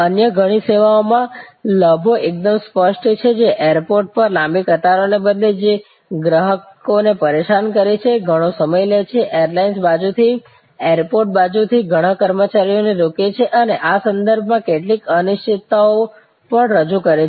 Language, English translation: Gujarati, Advantages in many other services are quite clear, that instead of long queues at the airport, which is irritating for the customer, takes a lot of time, engages lot of employees from the airlines side, airport side and also introduces some uncertainties with respect to timely arrival and departure of flights